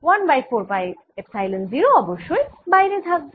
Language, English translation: Bengali, of course there is one over four pi epsilon zero outside